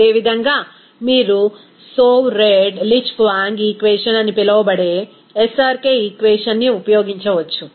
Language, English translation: Telugu, Similarly, you can use that SRK equation it is called, Soave Redlich Kwong equation